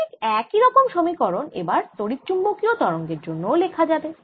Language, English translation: Bengali, exactly similar equations are now going to be obtained for ah electromagnetic waves